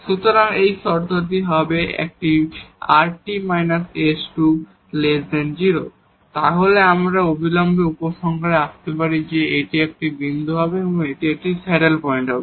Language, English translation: Bengali, So, this is the condition if this rt minus s square is negative then we can conclude immediately that this will be a point of this will be a point of a saddle point